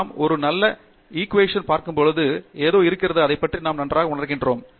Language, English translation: Tamil, There is something when we look at a nice equation, we feel very nice about it